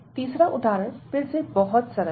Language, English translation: Hindi, So, the third example is again very simple